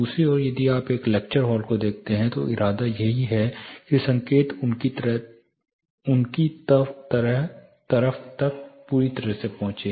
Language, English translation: Hindi, On the other hand if you look at a lecture hall, the intention is the signal has to reach them in the fullest possible manner